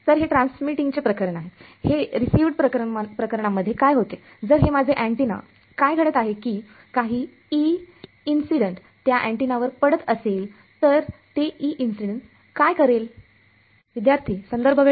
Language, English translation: Marathi, So, that is transmitting case, in the receiving case what happens if this is my antenna what is happening some E incident is falling on it on this antenna, what will that E incident do